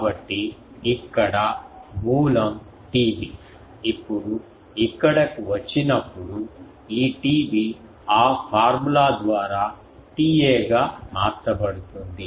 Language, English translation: Telugu, So, the source is here T B, now that when it comes here this T B gets converted to T A by that formula